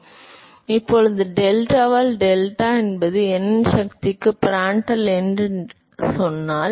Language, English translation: Tamil, So, now, if he said that delta by deltat is Prandtl number to the power of n